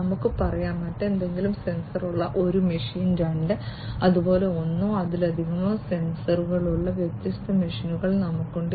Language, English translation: Malayalam, So, we have a machine 1 which has some sensor let us say, a machine 2 which has some other sensor and likewise we have different machines which have one or more sensors